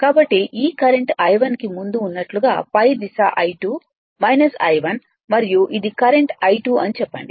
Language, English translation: Telugu, So, same as before this current is I 1 the upward direction is I 2 minus I 1 and this is the current going to the lord say I 2